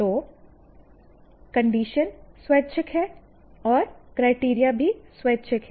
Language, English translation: Hindi, So, conditions are optional and criteria are also optional